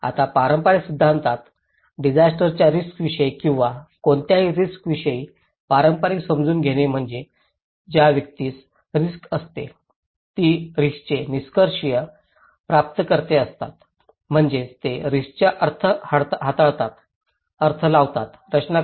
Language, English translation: Marathi, Now, in the conventional theory, conventional understanding of disaster risk or any risk is that individuals who are at risk they are the passive recipient of risk that means, they do not manipulate, interpret, construct the meaning of risk